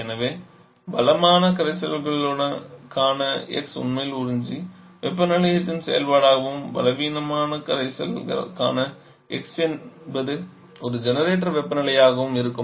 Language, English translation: Tamil, So your x for the strong solution actually will be a function of the observer temperature and x for the weak solution will be a function of the component compartment that is leaving is a generator temperature